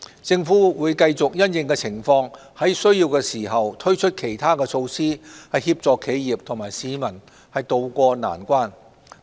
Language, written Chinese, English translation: Cantonese, 政府會繼續因應情況在有需要時推出其他措施，協助企業和市民渡過難關。, The Government will continue to provide appropriate support to business operators and the general public for them to tide over the current difficulties